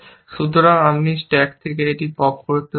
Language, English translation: Bengali, So, I can remove it from the, pop it from the stack